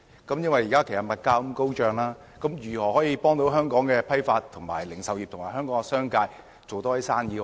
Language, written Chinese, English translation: Cantonese, 由於現時物價高漲，當局如何協助香港的批發、零售業和商界增加生意額？, With hefty increases in commodity prices how can the authorities help Hong Kongs wholesale and retail industries and the business sector increase their business turnovers?